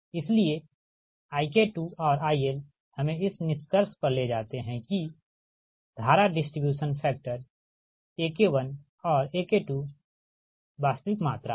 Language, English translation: Hindi, these lead us to the conclusion that current distribution factors ak one and ak two are real quantities